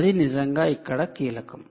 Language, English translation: Telugu, so that's really the key here